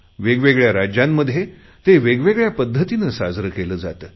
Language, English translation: Marathi, It is celebrated in different states in different forms